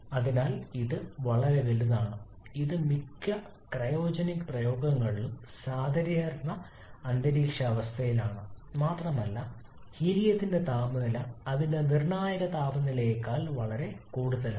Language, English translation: Malayalam, So this is extremely small that is the under normal atmospheric condition even in most of the cryogenic applications as well that the temperature of helium is well above its critical temperature